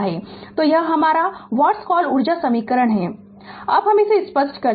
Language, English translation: Hindi, So, this is your what you call energy expression, now just let me clear it